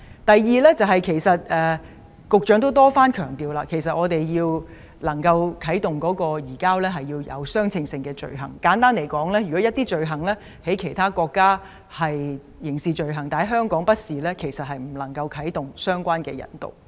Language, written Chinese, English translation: Cantonese, 第二，局長多番強調，即使我們想啟動移交程序，也要有相稱的罪行，簡單而言，如果一些罪行在其他國家屬於刑事罪行，但在香港卻不屬刑事罪行，便無法啟動引渡程序。, Secondly the Secretary has repeatedly stressed that even if we want to initiate the handover procedure there must be proportional offences . In short if some offences are criminal offences in other countries but not so in Hong Kong the extradition procedures cannot be initiated